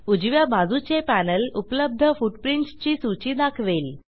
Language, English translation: Marathi, The right panel gives a list of footprints available